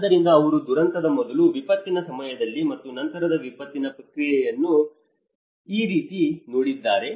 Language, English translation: Kannada, So, this is how they looked at the process of before disaster, during disaster and the post disaster